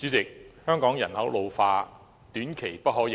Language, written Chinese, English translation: Cantonese, 主席，香港人口老化，短期內不可逆轉。, President population ageing is an irreversible trend in Hong Kong in the short run